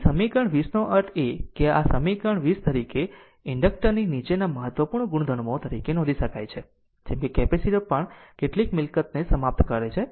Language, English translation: Gujarati, So, equation 20 that means, this equation 20 as well you are following important properties of an inductor can be noted like capacitor also we solve some property